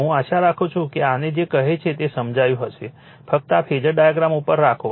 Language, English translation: Gujarati, I hope you have understood this say your what you call this thisjust hold on this phasor diagram